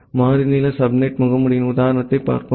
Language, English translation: Tamil, So, let us see an example of variable length subnet mask